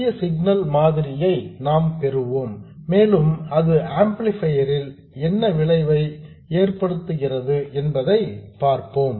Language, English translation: Tamil, We will derive the small signal model and see what effect it has on the amplifier